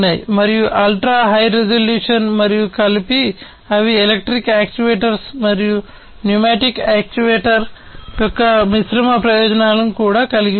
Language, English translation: Telugu, And ultra high resolution and combined, they also have the combined advantages of the electric actuators and the pneumatic actuator